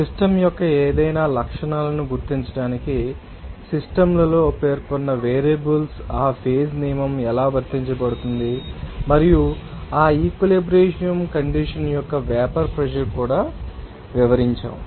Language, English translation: Telugu, And how that phase rule is applied to specified that is variables of the systems to you know identify any properties of the system and also we have described the vapour pressure of that you know equilibrium condition